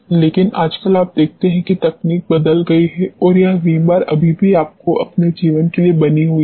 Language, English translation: Hindi, But, nowadays you see the technology has changed and this Vim bar is still remains maintained for its life